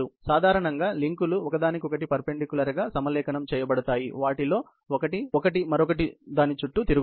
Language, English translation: Telugu, Usually, the links are aligned perpendicular to one another and one of them is revolving around the other